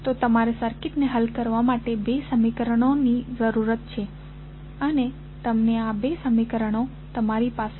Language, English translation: Gujarati, So, you need two equations to solve the circuit and you got these two equations